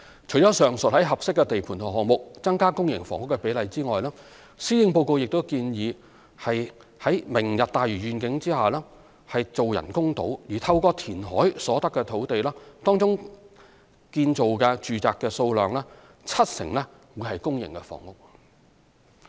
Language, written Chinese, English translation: Cantonese, 除了上述於合適的地盤及項目增加公營房屋的比例外，施政報告亦建議在"明日大嶼願景"下建造人工島，透過填海所得的土地，當中建造的住宅數量七成為公營房屋。, Apart from the aforesaid initiative to increase the ratio of public housing for suitable sites and projects the Policy Address also suggested the construction of artificial islands under the Lantau Tomorrow Vision . 70 % of the residential units produced on the land provided by reclamation would be for public housing